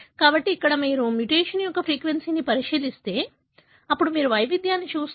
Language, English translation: Telugu, So, but if you look into the frequency of the mutation, then you see variation